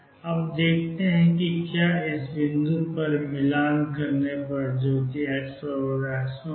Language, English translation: Hindi, Now let us see if it at this point where we are matching which is x equals x 0